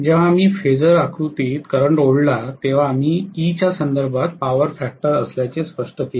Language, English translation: Marathi, When we actually drew the current in the phasor diagram, we specified as though the power factor with respect to E